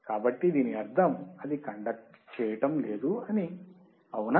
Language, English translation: Telugu, So that means, that it is not conducting, right